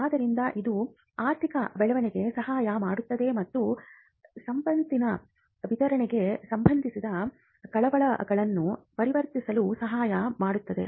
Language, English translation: Kannada, So, it helps economic growth, it also helps addressing concerns with regard to distribution of wealth and as well as social welfare